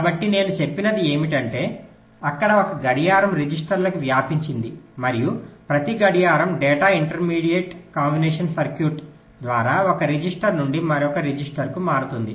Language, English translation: Telugu, so what i said is that there are, there is a clock which is spread to the registers and at every clock, data shifts from one register to the next through the, through the intermediate combinational circuit